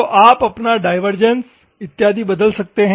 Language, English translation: Hindi, So, you can have your divergence and other things ok